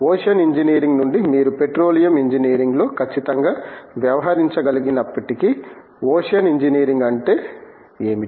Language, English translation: Telugu, Although strictly you can deal in petroleum engineering from ocean engineering, but that is what ocean engineering is